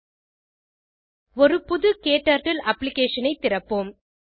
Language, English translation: Tamil, http://spoken tutorial.org Lets open a new KTurtle Application